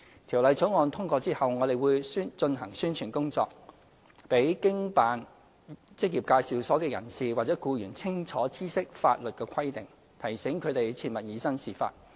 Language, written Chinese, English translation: Cantonese, 《條例草案》通過後，我們會進行宣傳工作，讓經辦職業介紹所的人士或僱員清楚知悉法律規定，提醒他們切勿以身試法。, Following the passage of the Bill LD will launch publicity to keep operators and employees of employment agencies clearly informed of the relevant legal requirements and alert them against flouting the law